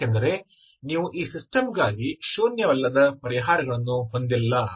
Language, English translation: Kannada, Because you do not have nonzero solutions for the system